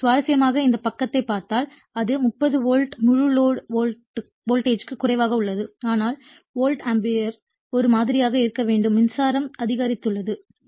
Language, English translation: Tamil, So, interestingly if you see this side it is your 30 volt right full load voltage has low, but at the same time if current has increased because volt ampere has to remain your same